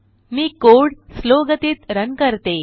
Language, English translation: Marathi, Let me run the code at slow speed